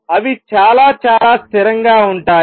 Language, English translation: Telugu, They are very, very stable